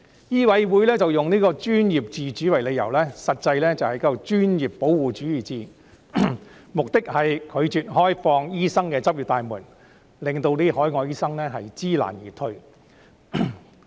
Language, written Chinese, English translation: Cantonese, 醫委會以"專業自主"為理由，實際是專業的保護主義，目的是拒絕開放醫生的執業大門，令海外醫生知難而退。, MCHK used professional autonomy as a justification but in fact it was all about professional protectionism which is aimed at refusing to open the door for doctors to practise so that overseas doctors will be deterred from doing so by the difficulties they face